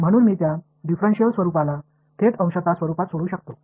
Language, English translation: Marathi, So, I can solve them directly in partial in that differential form